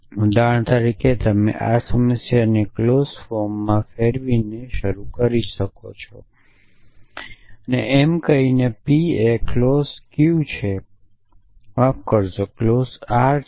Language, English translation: Gujarati, So, for example, you could start up by converting this problem into clause form saying P is the clause Q is the sorry R is the clause